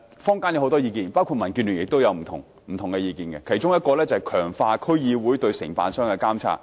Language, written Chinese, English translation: Cantonese, 坊間有不少意見，民建聯也有不同意見，其中一個意見是強化區議會對承辦商的監察。, Members of the community including members of DAB have made quite many suggestions . One of them is to strengthen the supervision of service contractors by District Councils DCs